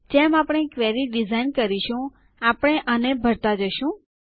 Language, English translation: Gujarati, As we design the query, we will fill these up